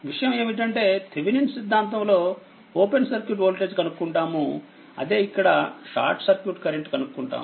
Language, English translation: Telugu, So, idea is for Thevenin’s theorem we got open circuit voltage in this case, we will get your what you call that short circuit current